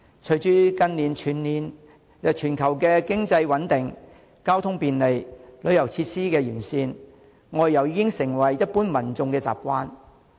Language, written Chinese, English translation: Cantonese, 隨着近年全球經濟穩定、交通便利、旅遊設施完善，外遊已經成為一般民眾的習慣。, In recent years given the global economic stability transport convenience and comprehensive tourism facilities outbound travel has become a habit of the general public